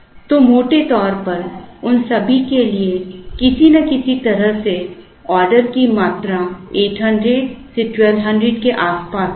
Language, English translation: Hindi, So, roughly all of them will have order quantities in some way or around 800 to 1200